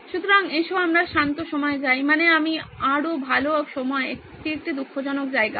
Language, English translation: Bengali, So let’s go to sober times I mean better times this is a sombre place